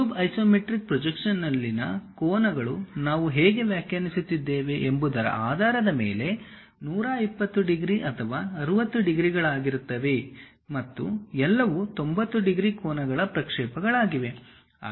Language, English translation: Kannada, The angles in the isometric projection of the cube are either 120 degrees or 60 degrees based on how we are defining and all are projections of 90 degrees angles